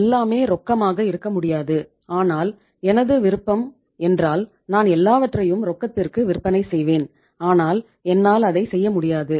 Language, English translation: Tamil, Everything canít be on cash but if my choice would be that I should be selling everything on cash but I cannot do that